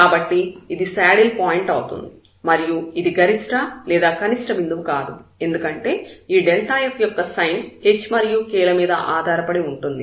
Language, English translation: Telugu, So, this is a saddle point, it is not a point of maximum or minimum because this delta f, the sign of this delta f depends on h and k